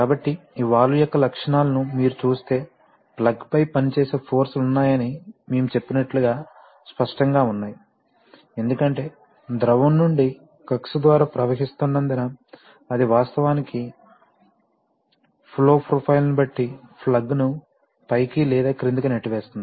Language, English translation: Telugu, So, as we shall see that, if you see the characteristics of this valve then obviously there are, as we said that there are forces acting on the plug, because from the fluid is flowing out through the orifice, it is actually pushing the plug up or down depending on the flow profile